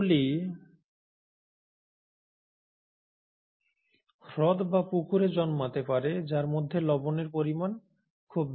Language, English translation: Bengali, They can grow in lakes and ponds which have very high salt content